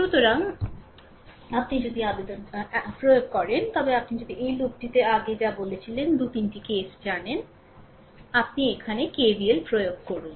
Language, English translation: Bengali, So, if you apply if you apply know in this loop whatever I told previously 2 3 cases, you apply KVL here